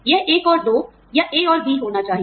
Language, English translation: Hindi, It should be, either one and two, or, a and b